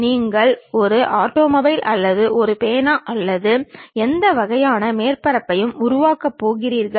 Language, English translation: Tamil, Same thing happens when you are going to create an automobile or perhaps a pen or any kind of surface